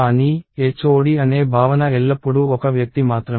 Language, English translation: Telugu, But, the notion of HOD is always just one person